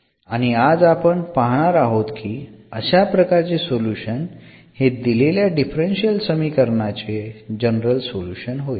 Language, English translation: Marathi, So, then this will be a general solution of the given differential equation